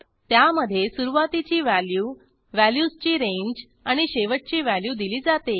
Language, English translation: Marathi, It consists of a start value, range of values and an end value